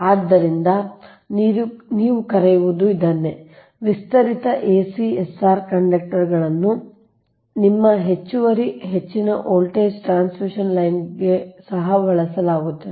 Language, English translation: Kannada, so this is that you, what you call ac i expanded acsr conductors are also used for your ah extra high voltage transmission line